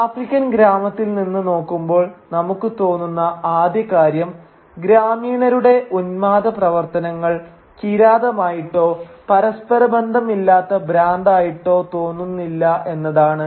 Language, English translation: Malayalam, Now the first thing that we feel when we look from inside the African village is that even the most frenzied activities of the villagers neither looked like savagery nor does it look like incoherent madness